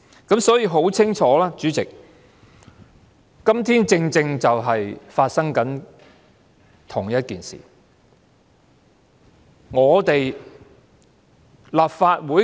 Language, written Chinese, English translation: Cantonese, 因此，很清楚，主席，今天正正就是發生了相同的事情。, Therefore very clearly President a similar incident has occurred now